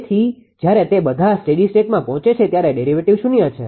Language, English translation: Gujarati, Therefore, when it reaches all the steady state the derivatives are 0